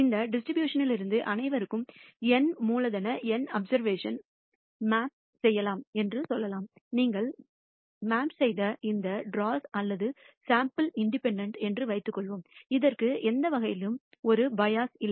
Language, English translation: Tamil, And let us say you draw N capital N observations for all from this distribution; let us assume these draws or samples that you are drawn are independent, it does not have a bias in any manner